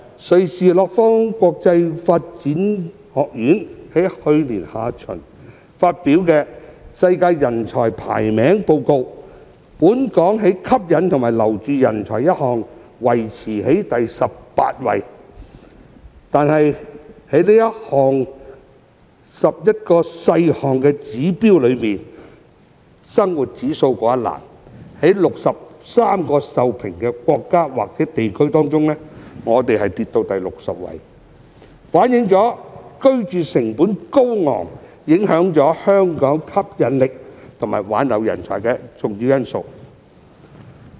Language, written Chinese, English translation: Cantonese, 瑞士洛桑國際管理發展學院在去年下旬發表《世界人才排名報告》，本港在"吸引和留住人才"維持在第十八位，但在11個細項指標中的"生活費用指數"，則跌至63個受評國家或地區中的第六十位，反映居住成本高昂是影響香港吸引力和挽留人才的重要因素。, According to the World Talent Ranking published by the Institute for Management Development in Lausanne Switzerland in the latter part of last year while Hong Kong remains in the 18th position in the Appeal factor which evaluates the extent to which it attracts foreign and retains local talents it drops to the 60th position among the 63 countries or territories in the cost - of - living index one of the 11 indicators under this factor . This reflects that the high cost of living is an important factor which affects Hong Kongs appeal and ability to retain talents